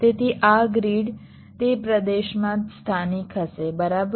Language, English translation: Gujarati, so this grid will be local to that region, right